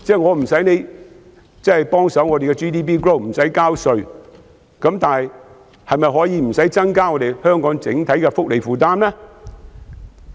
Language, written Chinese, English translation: Cantonese, 我無須要求他幫忙提高 GDP， 也不要求他交稅，但是，是否無須增加香港整體的福利負擔呢？, I do not need to ask them to help lift the gross domestic product nor ask them to pay tax but should they not increase the overall welfare burden of Hong Kong?